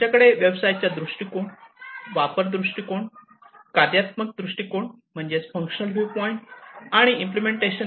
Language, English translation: Marathi, So, we have the business viewpoint, usage viewpoint, functional viewpoint and the implementation viewpoint